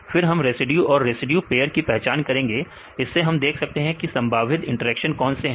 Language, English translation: Hindi, Then we identity the residues and residue pairs, from that we can see what are the probable interactions